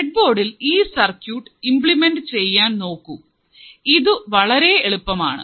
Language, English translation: Malayalam, Try to implement the circuit on the breadboard